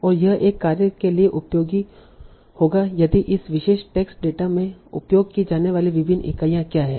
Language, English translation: Hindi, And it would be helpful for a task if you know what are different entities that are used in this particular text data